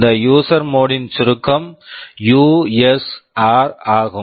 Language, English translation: Tamil, This user mode acronym is usr